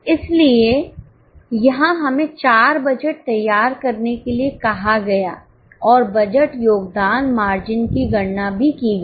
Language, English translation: Hindi, So, here we were asked to prepare 4 budgets and also compute the budgeted contribution margin